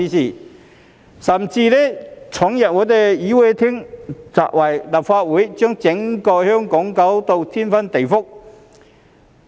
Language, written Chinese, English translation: Cantonese, 他們甚至闖入議事廳，砸毀立法會，將整個香港弄得天翻地覆。, They even stormed the Chamber and vandalized the Legislative Council . The entire Hong Kong was turned upside down